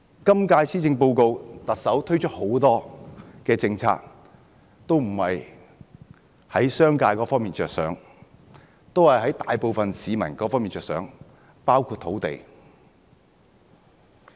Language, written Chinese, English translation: Cantonese, 今屆施政報告中，特首推出的很多政策都不是從商界的角度着想，而是從大部分市民的角度着想，包括土地。, In the Policy Address this year many policies introduced by the Chief Executive say the land policy are not formulated based on consideration of the business sector but the public in general